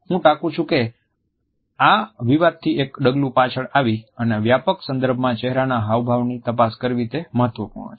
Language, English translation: Gujarati, And I quote, “it is important at this stage to a step back from this specific debate and examine facial expressions in a broader context”